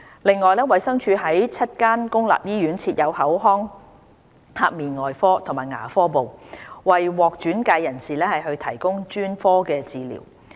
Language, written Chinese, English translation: Cantonese, 此外，衞生署在7間公立醫院設有口腔頜面外科及牙科部，為獲轉介人士提供專科治療。, In addition DH provides specialist treatments in the Oral Maxillofacial Surgery and Dental Units of seven public hospitals for referred patients